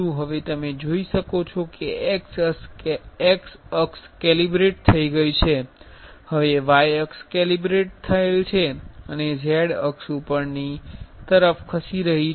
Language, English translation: Gujarati, Now, you can see the x axis has calibrated, now y axis is going, it is calibrated and z axis is moving towards topside